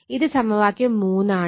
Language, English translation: Malayalam, So, it is actually 2